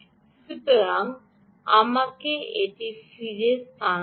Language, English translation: Bengali, so let me shift this back